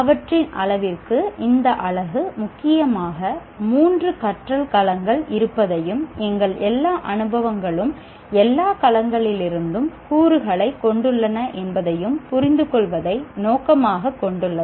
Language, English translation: Tamil, And to that extent, this unit aims at understanding that there are mainly three domains of learning and all our experiences have elements from all domains